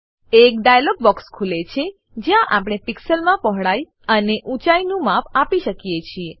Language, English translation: Gujarati, A dialog box opens, where we can specify the width and height dimensions, in pixels